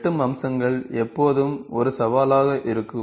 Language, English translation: Tamil, Intersecting features are always a challenge, always a challenge